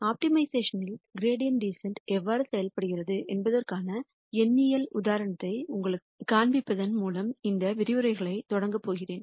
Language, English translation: Tamil, I am going to start out this lecture by showing you a numerical example of how gradient descent works in optimization